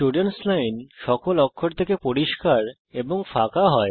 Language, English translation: Bengali, The Students Line is cleared of all characters and is blank